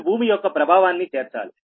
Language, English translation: Telugu, you have to call the effect of the earth